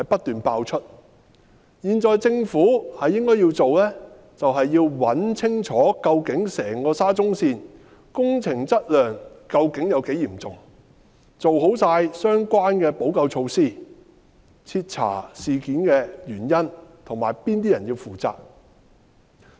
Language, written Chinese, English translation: Cantonese, 現在政府應該要做的，就是查清楚整個沙中線工程質量問題究竟有多嚴重，做好相關補救措施，徹查事件的原因及哪些人要負責。, Such scandals have been exposed one after another . What the Government should do now is to grasp the seriousness of the quality problem of the SCL project to put in place remedial measures to thoroughly look into the causes of such incidents and to determine the people who should be held responsible